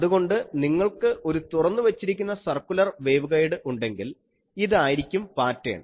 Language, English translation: Malayalam, So, if you have an open ended waveguide circular, then this becomes the pattern